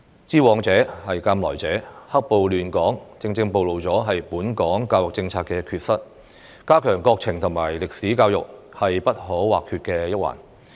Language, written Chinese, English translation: Cantonese, 知往事，鑒來者，"黑暴"亂港，正正暴露本港教育政策的缺失，加強國情和歷史教育是不可或缺的一環。, The black - clad violence that disrupted Hong Kong has exactly revealed the shortcomings of the education policy of Hong Kong and it is a must to strengthen education on national conditions and history